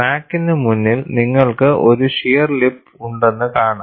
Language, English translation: Malayalam, Ahead of the crack, what you find is, you have a shear lip